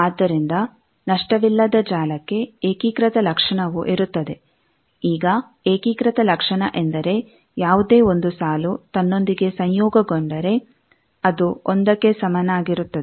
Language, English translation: Kannada, So, for lossless network unitary property, now unitary property is the any 1 row conjugated with itself will be equal to 1